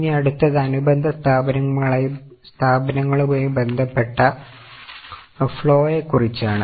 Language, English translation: Malayalam, Now next one is about cash flow related to subsidiaries